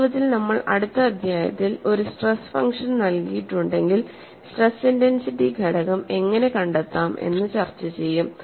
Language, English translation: Malayalam, In fact, we are going to discuss in the next chapter, if a stress function is given, how to find out the stress intensity factor